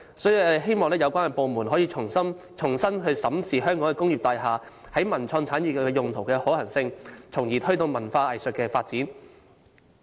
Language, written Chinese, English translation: Cantonese, 所以，我希望有關部門能重新審視香港工業大廈在文化及創意產業用途的可行性，從而推動文化藝術發展。, Therefore I hope the relevant government departments can re - examine the feasibility of allowing Hong Kongs cultural and creative industry to use local industrial buildings with a view to giving a big push to the development of the cultural and arts industry